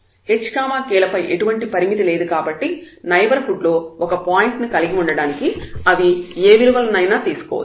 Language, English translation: Telugu, So, there is no restriction on h and k if they can take any value to have a point in the neighborhood